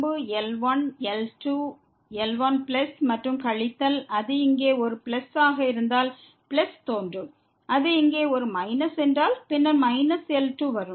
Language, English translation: Tamil, plus and minus if it is a plus there here plus will appear; if it is a minus here, then minus will come